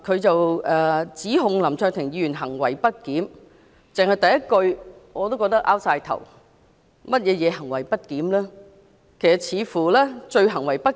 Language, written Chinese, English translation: Cantonese, 他指控林卓廷議員行為不檢，單是議案的第一句，已經令我摸不着頭腦，林議員如何行為不檢？, He accuses Mr LAM Cheuk - ting of misbehaviour . Just the first sentence of the motion alone is perplexing